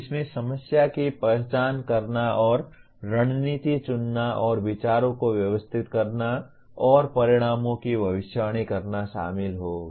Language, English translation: Hindi, That will involve identifying the problem and choosing strategies and organizing thoughts and predicting outcomes